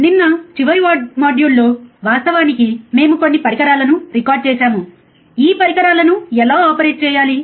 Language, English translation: Telugu, Yesterday, in the last module actually we have recorded few of the equipment, right how to operate this equipment